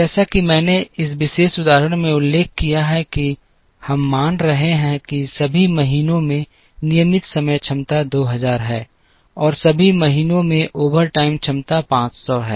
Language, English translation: Hindi, As I mentioned in this particular example we are assuming that, the regular time capacity is 2000 in all the months and overtime capacity is 500 in all the months